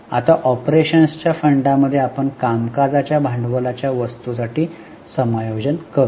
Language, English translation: Marathi, Now, in funds from operations, we will make adjustment for working capital items